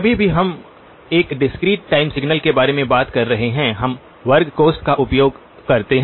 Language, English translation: Hindi, Anytime we are talking about a discrete time signal, we use the square brackets